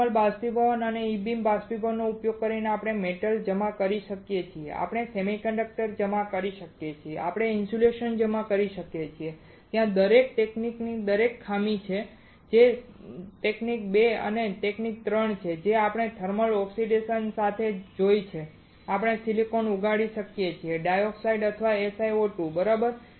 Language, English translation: Gujarati, Using thermal evaporation and E beam evaporation, we can deposit metal, we can deposit semiconductor, we can deposit insulator there is some drawback of each technique of each technique that is technique 2 and technique 3 that we have seen with thermal oxidation we can grow silicon dioxide or SiO2 right